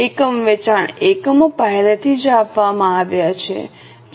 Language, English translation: Gujarati, You need sale units are already given which is 20,000